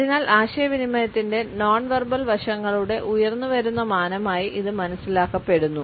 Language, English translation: Malayalam, And therefore, it is understood as an emerging dimension of non verbal aspects of communication